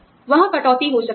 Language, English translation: Hindi, There could be cut